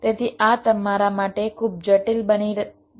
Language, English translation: Gujarati, ok, so this will become too complicated for you